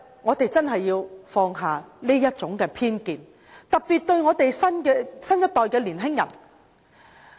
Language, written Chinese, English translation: Cantonese, 我們真的要放下這種偏見，特別是新一代的年輕人。, We must eradicate such prejudice especially the young people